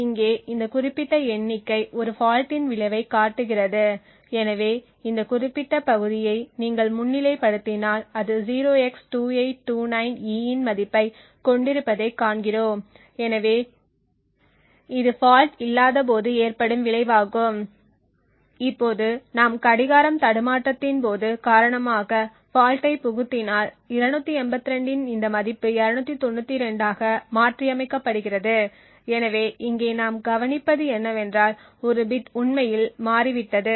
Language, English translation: Tamil, So this particular figure over here shows the effect of a fault so as we if you highlight on this particular area we see that it has a value of 0x2829E so this is the result when there is no fault which is when present now if we just inject a fault due to things like a clock glitching what we see is that this value of 282 gets modified to 292 so what we observe here is that one bit has actually toggled